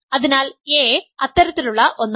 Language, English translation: Malayalam, So, a is one such